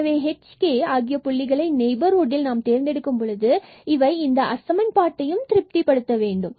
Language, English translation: Tamil, So, if we choose our h and k point in the neighborhood which satisfies this inequality, what will happen